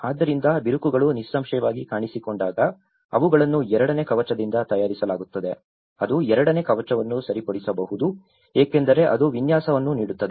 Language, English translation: Kannada, So, when the cracks have appeared obviously they are made of a second coat that is where it can fix the second coat because it gives a texture for it